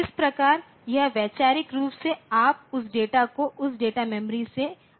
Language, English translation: Hindi, So, this is the way conceptually you can see the from that data from the data memory it comes